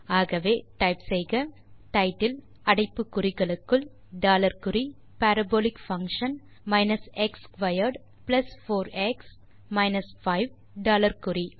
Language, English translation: Tamil, So you can type title within brackets dollar sign Parabolic function x squared plus 4x minus 5 dollar sign